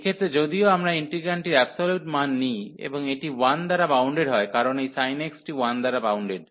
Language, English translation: Bengali, So, in this case even we take this absolute value of the integrand, and this is bounded by 1 over because this sin x is bounded by 1